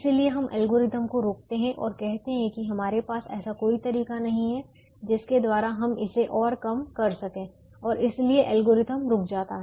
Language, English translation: Hindi, therefore we stop the algorithm and say that we don't have a way by which we can reduce it further and therefore the algorithm stops